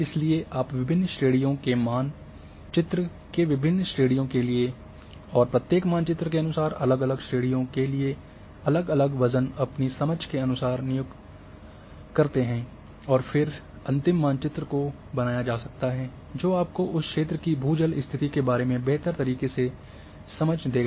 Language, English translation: Hindi, So, you know the different weights for different categories of different types of map and for different categories within each maps accordingly you can assign and then final map can be created which will give you the better understanding say about the ground water condition of that area